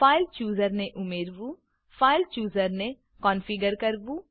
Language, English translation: Gujarati, Add the File Chooser Configure the File Chooser